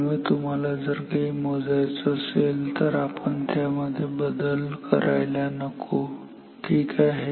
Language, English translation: Marathi, So, if you want to measure something we should not change that itself ok